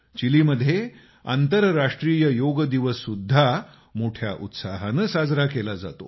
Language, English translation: Marathi, The International Day of Yoga is also celebrated with great fervor in Chile